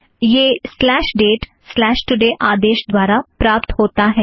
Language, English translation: Hindi, This is obtained throught the command slash date slash today